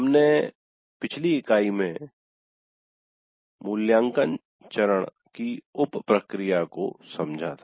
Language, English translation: Hindi, We understood the sub process of evaluate phase in the last unit